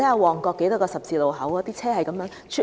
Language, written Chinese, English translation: Cantonese, 旺角有多個十字路口，每天車來車往。, Heavy vehicular flows can be observed at many road junctions in Mong Kok every day